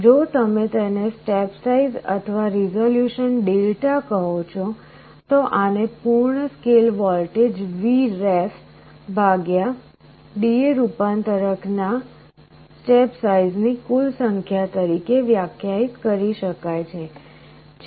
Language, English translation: Gujarati, The step size or resolution if you call it Δ, this can be defined as the full scale voltage Vref divided by the total number of steps of the D/A converter